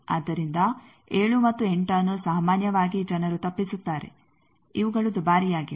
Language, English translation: Kannada, So, 7 and 8 generally people avoid that these are costly